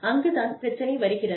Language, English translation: Tamil, And, that is where, the problem comes in